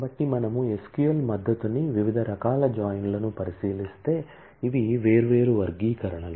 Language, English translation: Telugu, So, if we look into the different types of join that SQL support, these are the different classifications